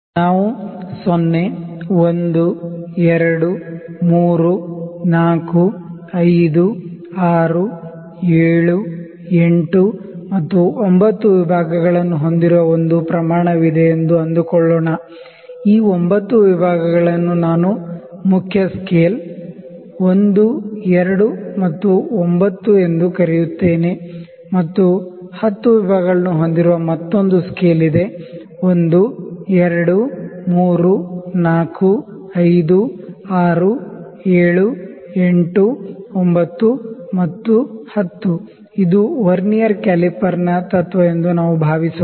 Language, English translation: Kannada, So, let me say there is a scale in which we have 9 divisions 0, 1, 2, 3, 4, 5, 6, 7, 8 and 9; these 9 divisions I will call it main scale, 1, 2 and 9 and there is another scale which has 10 divisions; 1, 2, 3, 4, 5, 6, 7, 8, 9 and 10, I think let us call it this is principle of Vernier caliper